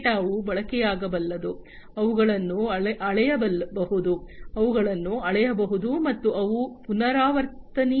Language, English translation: Kannada, These data are consumable, they can be measured, they are measurable, and they are repeatable, right